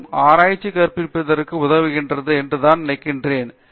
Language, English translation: Tamil, But, I feel that teaching helps research and research helps teaching